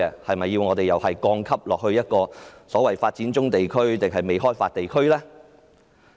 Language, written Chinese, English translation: Cantonese, 我們是否要把香港降級至一個所謂發展中地區還是未開發地區呢？, Do we want to downgrade Hong Kong to a so - called developing or undeveloped region?